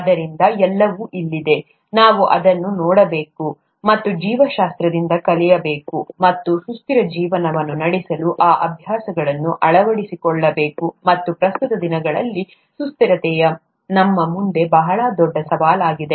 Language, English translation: Kannada, So it's all, all there, we just have to look at it and learn from biology and adopt those practices to be able to lead a sustainable life, and sustainability is a very big challenge in front of us nowadays